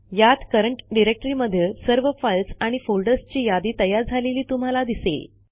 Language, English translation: Marathi, You can see it lists all the files and folders in the current directory